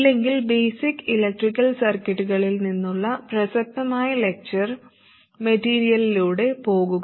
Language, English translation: Malayalam, If not, please go through the relevant lecture material from basic electrical circuits